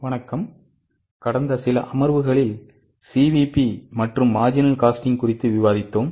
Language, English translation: Tamil, In last few sessions, we have discussed CVP marginal costing